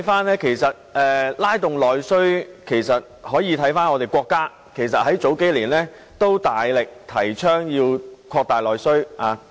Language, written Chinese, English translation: Cantonese, 然而，在拉動內需方面，其實我們可以看看我們的國家，國家在數年前也曾大力提倡擴大內需。, However regarding stimulating internal demand we can take a look at our country . Several years ago the State also strongly advocated expanding internal demand